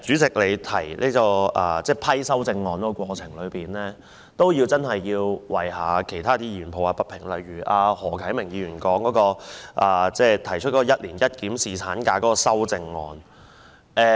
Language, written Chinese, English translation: Cantonese, 此外，關於主席審批修正案的裁決，我亦要為其他議員抱不平，例如由何啟明議員提出"一年一檢"侍產假的修正案。, Moreover regarding the Presidents ruling on the amendments I have to do justice to the Members concerned such as Mr HO Kai - ming whose proposed amendment seeks to propose an annual review on paternity leave